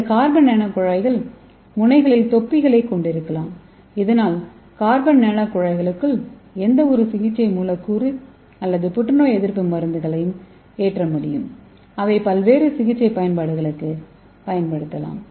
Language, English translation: Tamil, And this carbon nano tube can have caps at the ends okay so we can have caps at the ends of this tube so that we can load any therapeutic molecule or we can load any anti cancer drugs inside the carbon nano tubes and we can use it for various therapeutic application